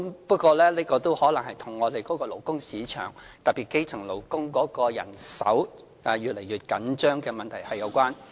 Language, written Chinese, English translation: Cantonese, 不過，這可能是與我們的勞工市場，特別是基層勞工的人手越來越緊張有關。, Nevertheless this might have something to do with the fact that our labour market especially the supply of elementary workers is getting increasing tight